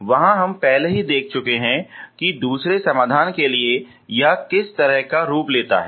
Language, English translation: Hindi, There we have already seen what kind of form it takes for the second solution